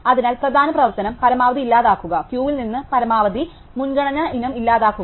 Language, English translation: Malayalam, So, the main operation is delete max; delete the maximum priority item from the queue